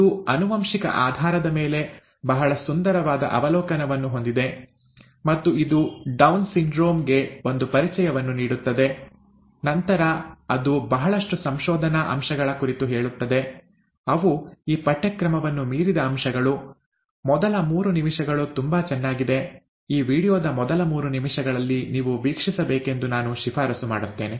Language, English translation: Kannada, It has a very nice overview of the genetic basis itself, and it gives an introduction to the Down syndrome, and then it gets into a lot of research aspects, that might be a little beyond this course, the research aspects, the first three minutes are very nice, I would recommend that you watch this, the first three minutes of this video